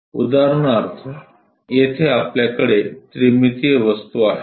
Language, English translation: Marathi, For example, here we have a three dimensional object